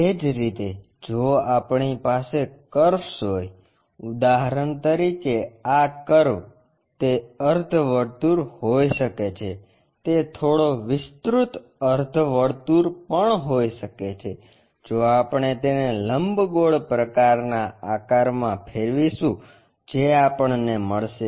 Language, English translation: Gujarati, Similarly, if we have curves for example, this curve, it can be semicircle it can be slightly elongates ah semicircle also, if we revolve it ellipsoidal kind of objects we will get